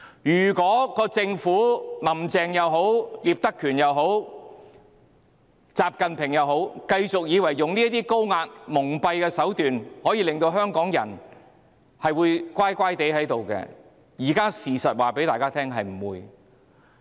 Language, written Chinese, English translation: Cantonese, 不論"林鄭"、聶德權、習近平，如果政府以為繼續採取這種高壓蒙蔽的手段，香港人便會乖乖聽話，現在事實告訴大家是不會的。, Be it Carrie LAM Patrick NIP or XI Jinping if the Government thinks Hong Kong people will remain obedient under this high - pressure and deceitful approach the facts have told them now that they are wrong